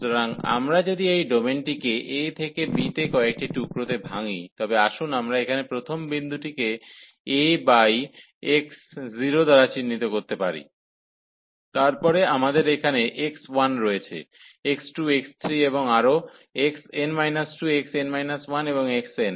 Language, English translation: Bengali, So, if we divide this domain from a to b into several pieces, so let us denote here the first point a by x 0, then we have a x 1 here, x 2, x 3 and so on, x n minus 2, x n minus 1 and x n